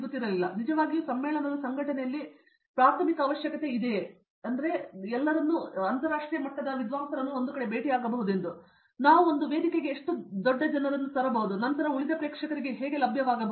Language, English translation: Kannada, So, we actually in organization of conference that the primary requirement is this, how big people we can bring in one platform and then make available to rest of the audience